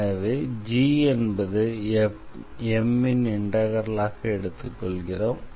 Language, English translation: Tamil, So, you will take a function this g x y as the integral